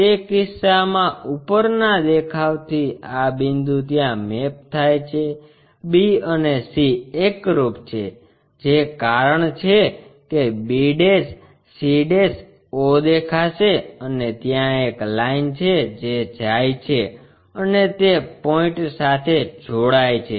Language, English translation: Gujarati, In that case from the top view this point a maps there; b and c coincides that is the reason b' c', o will be visible and there is a line which goes and joins that point